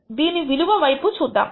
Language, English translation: Telugu, Let us look at what is the price